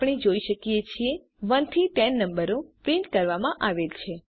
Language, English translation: Gujarati, We see that, the numbers from 1 to 10 are printed